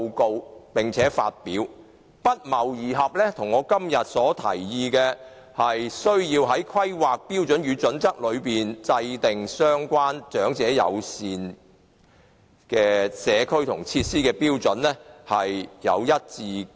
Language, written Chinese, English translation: Cantonese, 該報告的建議與我的看法一致，我提議要在《規劃標準》中制訂相關長者友善社區設施的標準。, The recommendations of the report are consistent with my views . I thus propose that HKPSG should include community facilities with elements friendly to the elderly population